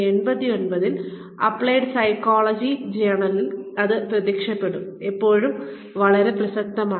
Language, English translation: Malayalam, It appeared in the journal of applied psychology, in 1989, still very relevant